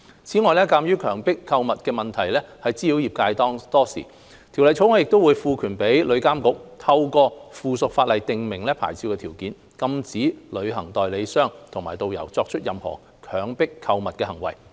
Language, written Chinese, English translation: Cantonese, 此外，鑒於強迫購物的問題困擾業界多時，《條例草案》亦會賦權旅監局透過附屬法例訂明牌照條件，禁止旅行代理商和導遊作出任何強迫購物的行為。, Furthermore as coerced shopping has vexed the industry for a long time the Bill will also empower TIA to prescribe licence conditions through subsidiary legislation to prohibit travel agents and tourist guides from committing any act of coerced shopping